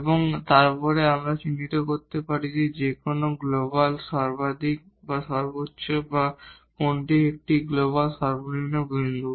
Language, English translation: Bengali, And then, we can identify that which one is the point of maximum the global maximum or which one is the point of a global minimum